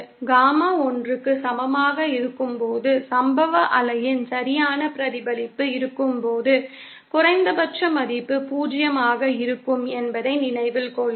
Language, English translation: Tamil, Note that when Gamma is equal to1, that is when there is perfect reflection of the incident wave, the minimum value will be 0